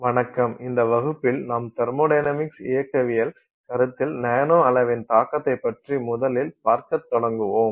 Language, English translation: Tamil, Hello, in this class and in the classes that we will look at going forward, we will first begin by looking at the impact of the nanoscale on thermodynamic considerations